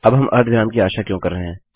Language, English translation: Hindi, Now why are we expecting a semicolon